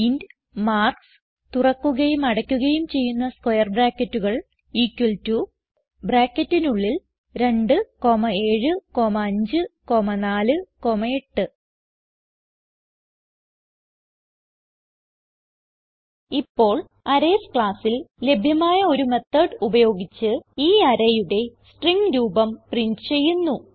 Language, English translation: Malayalam, Inside the main function,type int marks open and close square brackets equal to within brackets 2, 7, 5, 4, 8 Now we shall use a method available in the Arrays class to get a string representation of the array and print it